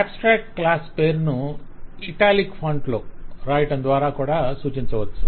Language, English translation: Telugu, Abstract classes in an alternate form could be represented by writing the class name in italicized font as well